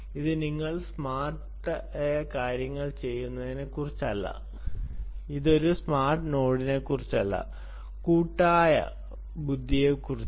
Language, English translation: Malayalam, it's not about a smart node, it's about collective intelligence